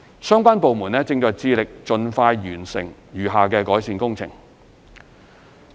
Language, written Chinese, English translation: Cantonese, 相關部門正致力盡快完成餘下改善工程。, The relevant government departments strive to complete the remaining improvement works as soon as possible